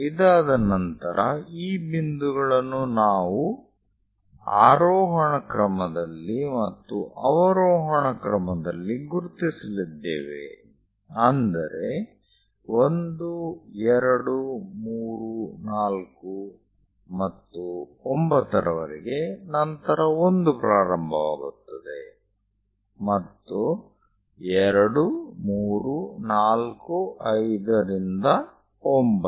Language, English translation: Kannada, After construction, these points we are going to mark in the ascending order and in the descending order; something like 1, 2, 3, 4 and so on 9, then 1 begins 2, 3, 4, 5 all the way to 9